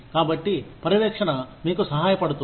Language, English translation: Telugu, So, the supervision helps you